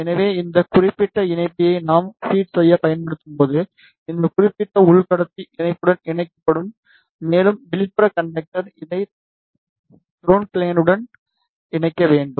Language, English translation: Tamil, So, when we use this particular connector to feed it, so this particular inner conductor will be connected to the patch, and the outer conductor this should be connected to the ground plane